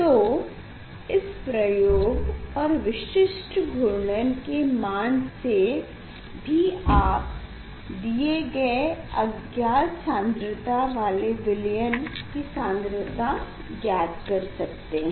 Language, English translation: Hindi, using this experiment or result of specific rotation you can find out the concentration of unknown solution